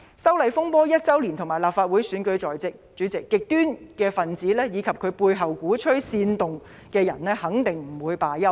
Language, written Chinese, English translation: Cantonese, 修例風波即將一周年，以及立法會選舉在即，主席，極端分子及其背後鼓吹煽動的人肯定不會罷休。, It has been almost one year since the disturbances arising from the opposition to the proposed legislative amendments and the Legislative Council election will soon take place . Chairman the extremists and the instigators behind them will certainly not give up